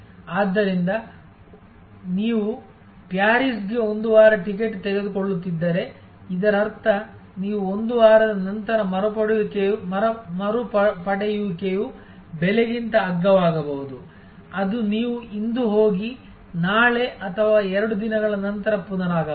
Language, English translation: Kannada, So, if you are taking a ticket for Paris for a week; that means, you retuning after 1 week the price is most likely to be cheaper than a price which is you go today and comeback tomorrow or 2 days later